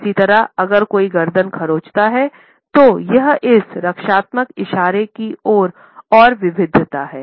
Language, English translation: Hindi, Similarly, we find that the neck is scratch is another variation of this defensive gestures